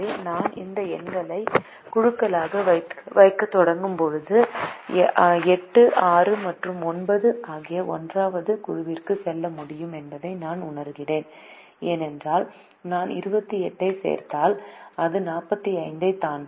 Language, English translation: Tamil, so i, as i start putting these numbers into groups, i realize that eight, six and nine can go to the first group, because if i had twenty eight, it exceeds the forty five